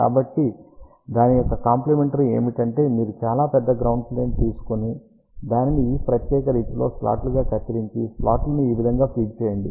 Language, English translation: Telugu, So, complement of that would be is that you take a very large ground plane and cut a slot of this particular fashion and feed the slot like this